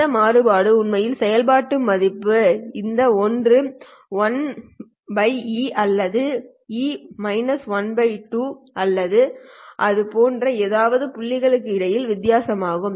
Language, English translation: Tamil, The variance is actually the difference between the points where the function value drops to 1 by e of this one or e to the power minus 1 by 2 of something like that